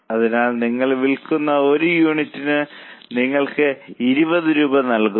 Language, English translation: Malayalam, So, one unit you sell gives you 20 rupees